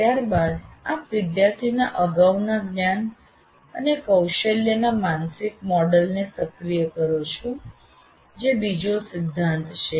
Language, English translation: Gujarati, And then you activate the mental model of the prior knowledge and skill of the student